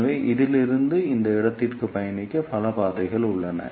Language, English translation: Tamil, So, there are multiple paths to travel from this to this point